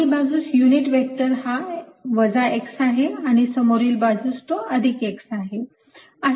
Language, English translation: Marathi, the unit vector on the backside is negative x, on the front side its positive x